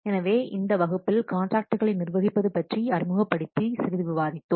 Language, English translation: Tamil, So, in this class we have discussed a little bit of introduction to managing contracts